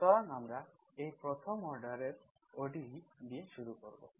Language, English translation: Bengali, So we start with this first order ODE, this is what it is